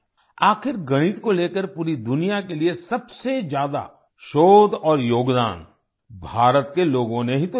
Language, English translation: Hindi, After all, the people of India have given the most research and contribution to the whole world regarding mathematics